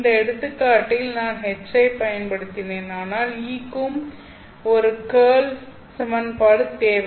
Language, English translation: Tamil, The curl of H, I have used H in this example, but you know that E also needs a curl equation